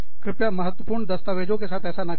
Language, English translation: Hindi, Please do not do this, with important documents